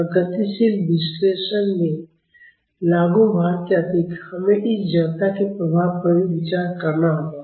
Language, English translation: Hindi, And in dynamic analysis, in addition to the applied load, we have to consider the effect of this inertia also